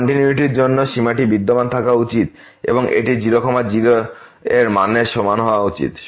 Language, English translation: Bengali, For continuity, the limit should exist and it should be equal to the value at